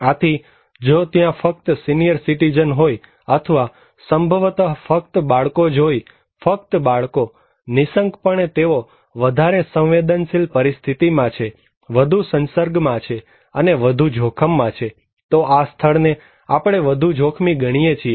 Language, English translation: Gujarati, So, if there are only senior citizens or maybe only children are there, only kids so, of course they are more vulnerable, more exposed and more at risk, this place we consider to be more risky